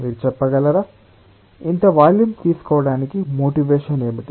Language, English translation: Telugu, can you tell what is the motivation of this taking such a volume